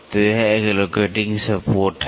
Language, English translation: Hindi, So, it is one locating support